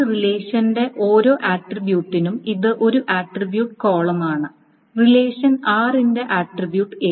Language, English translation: Malayalam, Now for each attribute A of a relation is an attribute column, attribute A of relation R, again certain statistics are maintained